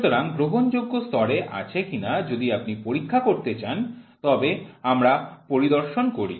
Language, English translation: Bengali, So, acceptable quantity level if you want to check we do inspections